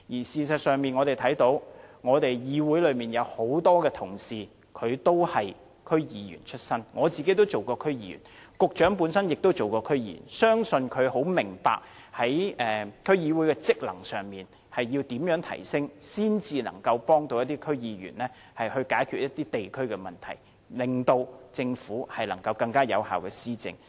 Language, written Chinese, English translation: Cantonese, 事實上，議會內多位同事均是區議員出身，我自己亦曾任職區議員，局長本身也曾任職區議員，相信他非常明白要怎樣提升區議會的職能，才能協助區議員解決地區的問題，令政府能更有效地施政。, I myself was a DC member too . The Secretary has also served as a DC member before . I believe he understands very well how the functions of DCs can be enhanced in order to assist DC members in resolving problems in the districts and enable the Government to implement policies more effectively